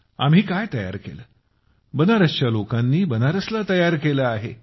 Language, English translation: Marathi, The people of Banaras have made Banaras